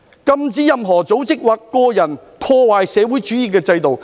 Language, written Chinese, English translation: Cantonese, 禁止任何組織或者個人破壞社會主義制度。, It is prohibited for any organization or individual to damage the socialist system